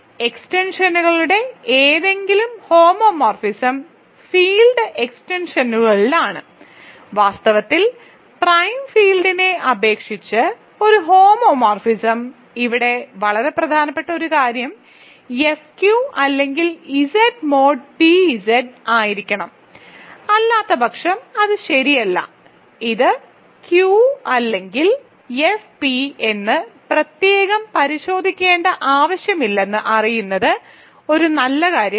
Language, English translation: Malayalam, So, any homomorphism of extensions is in field extensions is in fact, a homomorphism over the prime field; here very important point is that F has to be Q or Z mod p Z otherwise it is not true So, that is a nice thing to know you do not need to separately check that it fixes Q or it fixes F p point wise